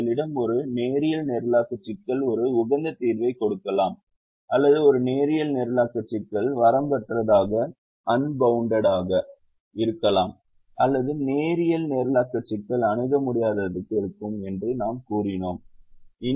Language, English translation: Tamil, we said that we have a linear programming problem can give us an optimal solution, or a linear programming problem can be unbounded, or the linear programming problem can be infeasible